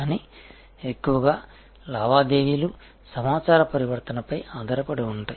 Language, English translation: Telugu, But, mostly the transactions are based on information transform